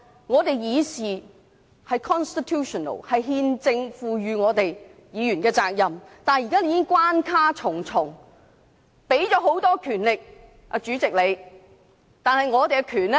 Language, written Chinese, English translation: Cantonese, 議員議事是憲政賦予議員的責任，現時已經關卡重重，讓主席有很大的權力，但議員的權力更會被奪去。, Policy discussion is a constitutional duty of Members but now barriers are set . While the President has been given great powers Members are stripped of their powers